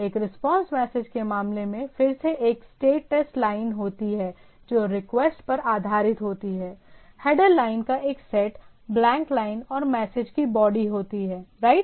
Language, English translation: Hindi, In the in case of a response message, again it has a status line that based on the request, what is the status line, a set of header lines, blank line and the body of the message right